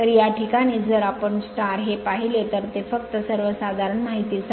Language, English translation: Marathi, So, in this case if you look into this that just for your general knowledge